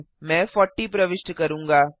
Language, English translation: Hindi, I will enter 40